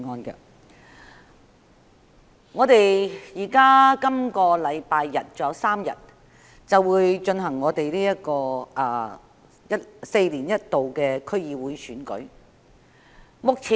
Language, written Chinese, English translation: Cantonese, 距離今個星期日還有3天，便舉行4年一度的區議會選舉。, The District Council DC Election held once every four years will be held three days later on the coming Sunday